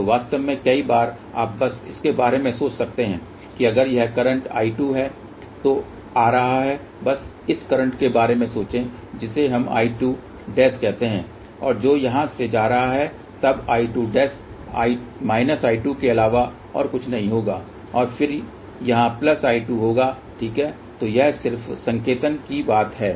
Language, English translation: Hindi, In fact, many a times you can just think about it that if this is I 2 which is coming in just think about this is current let us say I 2 dash and which is leaving here, then I 2 dash will be nothing but minus I 2 and that will be here then plus I 2 dash, ok